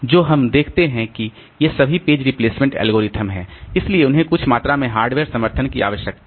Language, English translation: Hindi, So, what we see that all these page replacement algorithms so they need some amount of hardware support